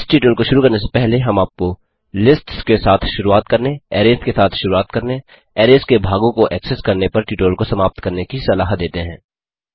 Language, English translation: Hindi, Before beginning this tutorial,we would suggest you to complete the tutorial on Getting started with lists, Getting started with arrays, Accessing parts of arrays